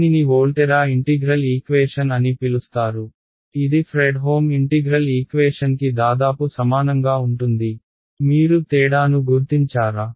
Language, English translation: Telugu, It is called a Volterra integral equation which is almost identical to a Fredholm integral equation, can you spot the difference